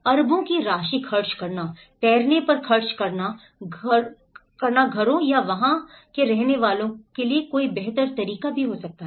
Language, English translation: Hindi, Spending billions of amount of, spending on floating houses or is there any better ways to do it